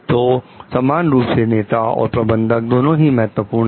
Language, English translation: Hindi, So, equally leaders and managers are both important